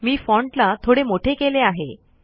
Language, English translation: Marathi, I made the font slightly bigger